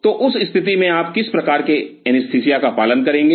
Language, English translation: Hindi, So, in that case what kind of anesthesia you are going to follow